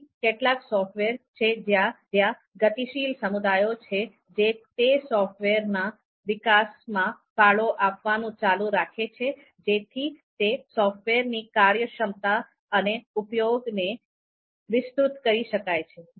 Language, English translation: Gujarati, So there there are only a few software where there are dynamic communities which keep on contributing for the development of those softwares in the sense they allow they allow them to expand in terms of functionality and use